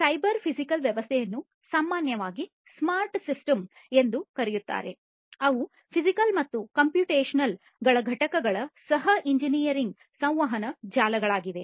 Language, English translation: Kannada, So, cyber physical system also often known as smart systems are co engineered interacting networks of physical and computational components